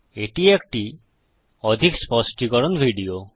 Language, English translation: Bengali, This is more of an explanation to video